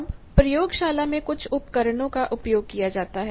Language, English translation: Hindi, Now, there are some components used in the laboratory